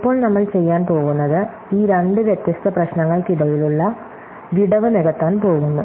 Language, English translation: Malayalam, Now, what we are going to do is, we are going to bridge the gap between these two different problems